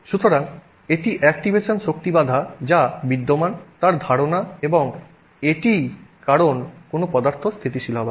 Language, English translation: Bengali, So, so that is the idea of the activation energy barrier that exists and that is the reason why things are stable